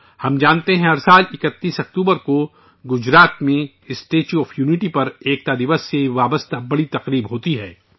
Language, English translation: Urdu, We know that every year on the 31st of October, the main function related to Unity Day takes place at the Statue of Unity in Gujarat